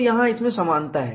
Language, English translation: Hindi, So, there is an advantage